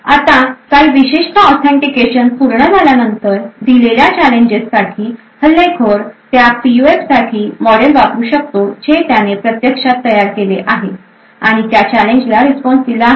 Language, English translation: Marathi, Now after a certain number of authentications have completed, for a given challenge the attacker could use the model for that PUF which it has actually created which it has actually built and respond to the challenge